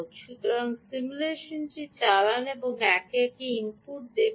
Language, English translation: Bengali, so run this simulation and see, one by one, input